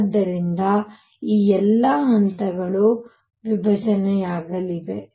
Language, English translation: Kannada, So, all these levels are going to split